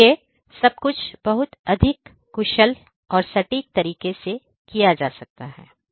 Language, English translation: Hindi, So, everything could be done in a much more efficient and precise manner